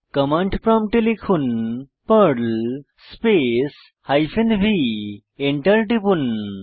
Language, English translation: Bengali, On the command prompt, type perl space hyphen v and press ENTER